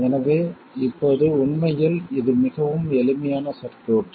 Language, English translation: Tamil, So let's do that now for this particular circuit